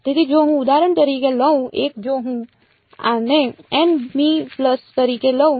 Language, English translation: Gujarati, So, if I take for example, 1 if I take this to be the n th pulse